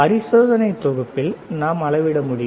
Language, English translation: Tamil, In the set of experiment is that we can measure